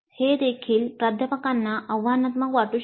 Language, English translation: Marathi, So this also may look challenging to the faculty